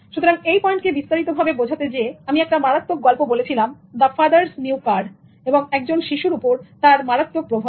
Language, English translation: Bengali, So to illustrate this point, I gave a very poignant story story about father's new car and a child who tampered with it